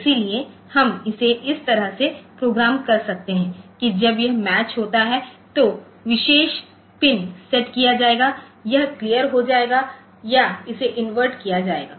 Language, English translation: Hindi, So, we can programme it like this that when this match occurs, so the particular pin will be set it will be cleared or it will be inverted